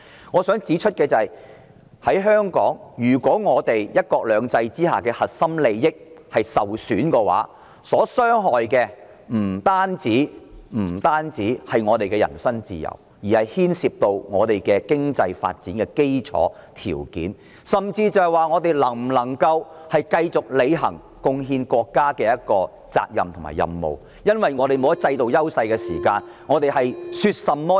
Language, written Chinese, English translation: Cantonese, 我想指出的是，在香港，如果"一國兩制"之下的核心利益受損，受傷害的不單是我們的人身自由，而是牽涉到我們經濟發展的基礎條件，甚至是我們能否繼續履行貢獻國家的責任和任務，因為如果我們沒有了制度優勢，便變成了說甚麼枉然。, What I wish to point out is that in Hong Kong if our core interests under one country two systems are compromised what will be jeopardized is not just our personal freedoms rather the fundamentals of Hong Kongs economic development will also be at stake and it will even become questionable whether or not we can continue to fulfil the responsibilities and mission of making contribution to the country since without our institutional advantages any talk about anything is useless